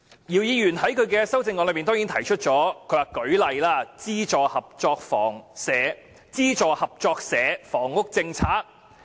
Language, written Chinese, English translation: Cantonese, 姚議員在修正案中亦提出了"例如推出'資助合作社房屋政策'"。, In his amendment Dr YIU also says such as launching a subsidized cooperative housing policy